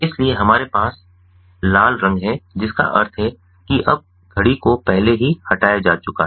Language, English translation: Hindi, so we have ah red colour implying that now, actually, the clock has already been harvested